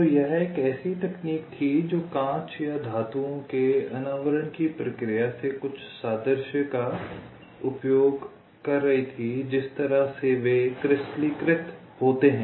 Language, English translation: Hindi, so it was a technique which was using some analogy from the process of annealing of glass or metals, the way they are crystallized